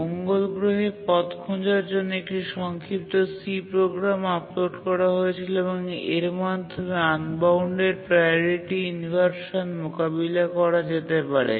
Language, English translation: Bengali, And then they uploaded a short C program onto the Mars Pathfinder and then the unbounded priority inversion that was occurring could be tackled